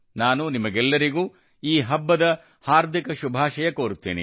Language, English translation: Kannada, I extend warm greetings to all of you on these festivals